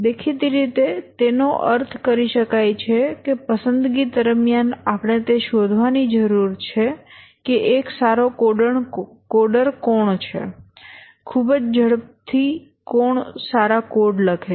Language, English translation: Gujarati, Obviously this can be interpreted to mean that during the selection we need to find out who is a good coder, codes very fast, writes good code